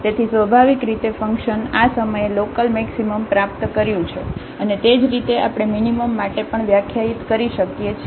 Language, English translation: Gujarati, So, naturally the function has attained local maximum at this point and similarly we can define for the minimum also